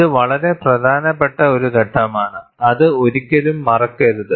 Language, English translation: Malayalam, It is a very significant step, never forget that